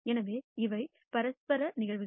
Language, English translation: Tamil, So, these are mutually exclusive events